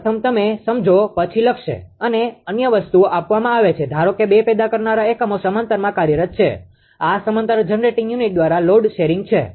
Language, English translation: Gujarati, First you understand then will ah write a other things are given suppose two generating units are operating in parallel this is the load sharing by parallel generating unit